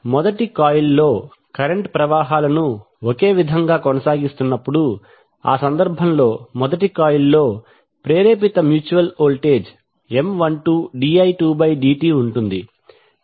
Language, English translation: Telugu, While maintaining the currents same in the first coil, so in that case the induced mutual voltage in first coil will be M 12 di 2 by dt